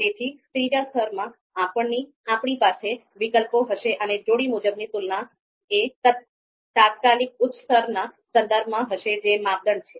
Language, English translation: Gujarati, So in the third level, we will have the alternatives and the pairwise comparisons would be with respect to the immediate upper level, that is you know criteria